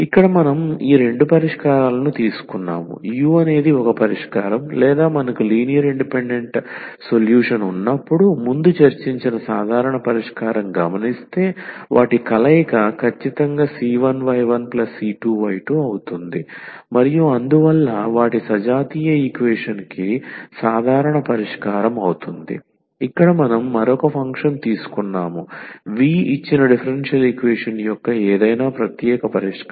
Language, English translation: Telugu, So, here we have taken this two solutions the u is a solution or is the general solution which we have already discussed before when we have n linearly independent solution; their combination exactly c 1 y 1 plus c 2 y 2 and so on that will be their general solution of the homogeneous equation and here we have taken another function v be any particular solution of the given differential equation